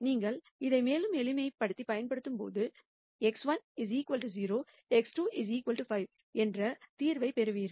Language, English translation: Tamil, And when you further simplify it you get a solution x 1 equals 0, x 2 equal to 5